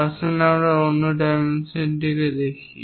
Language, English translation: Bengali, Let us look at other dimensioning